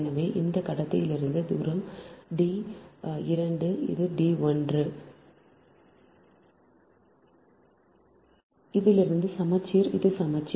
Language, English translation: Tamil, so from this conductor the distance is d two, this is d one